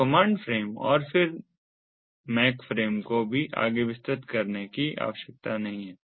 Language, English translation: Hindi, so there are the command frames and then the mac frames